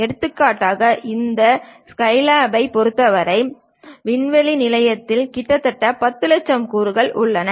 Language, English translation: Tamil, For example, for this Skylab experiment the space station whatever has been constructed it contains nearly 10 Lakh components